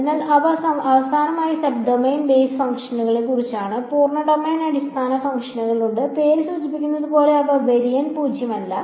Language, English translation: Malayalam, So, those are about sub domain basis function finally, there are full domain basis functions which as the name suggest they are nonzero all through the line